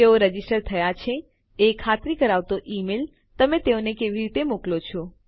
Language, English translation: Gujarati, How do you send them an email confirming that they have registered